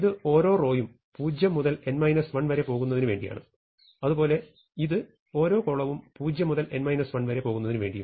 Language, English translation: Malayalam, So, this is for each row for i equal 0 to n minus 1, then for each column j equal to 0 to n minus 1